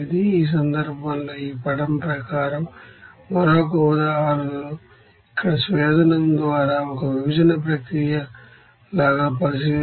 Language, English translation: Telugu, Let us consider another examples as per this diagram here like this in this case like one separation process by distillation here